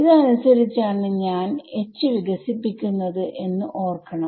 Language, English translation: Malayalam, Remember I am expanding H according to this